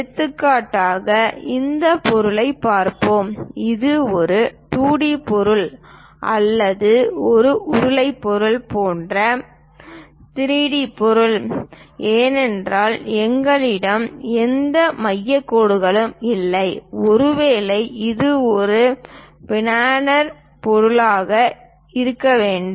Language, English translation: Tamil, For example, let us look at this object is it a 2d object or 3d object like cylindrical object because we do not have any center dashed lines, possibly it must be a planar object this is the one